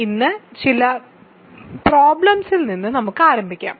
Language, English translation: Malayalam, So, let us start with some problems today